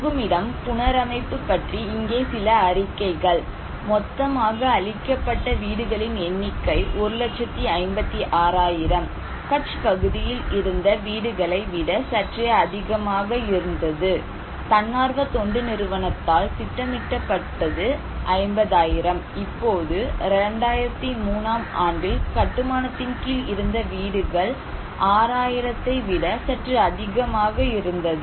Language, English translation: Tamil, Shelter reconstruction; some of the reports here; now, progress of housing reconstructions in Kutch, number of total destroyed houses was 1 lakh 56,000 little more than that in Kutch area, and that was planned by the NGO was around 50,000 among them, the under construction house right now that time 2003 was little more than 6000, completed almost 40,000 thousand little less than that